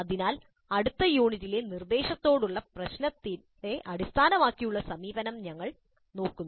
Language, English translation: Malayalam, So we look at the problem based approach to instruction in the next unit